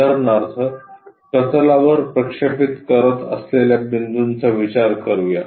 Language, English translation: Marathi, For example, let us consider a point which is making a projection on the plane